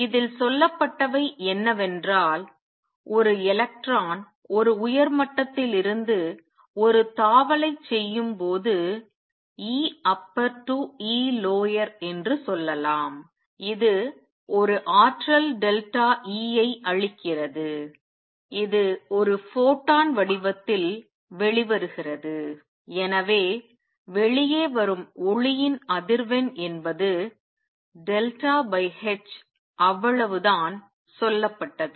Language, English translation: Tamil, All that has been said in this is when an electron makes a jump from an upper level let us say an E upper to E lower it gives out an energy delta E which comes out in the form of a photon and therefore, the frequency of the out coming light is delta E over h that is all that has been said